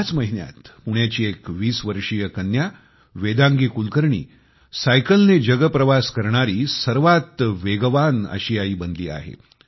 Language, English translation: Marathi, This very month, 20 year old Vedangi Kulkarni from Pune became the fastest Asian to traverse the globe riding a bicycle